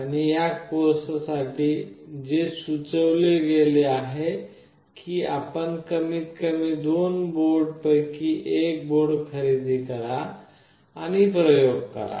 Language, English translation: Marathi, And what is strongly recommended for this course is you purchase at least one of the two boards and perform the experiments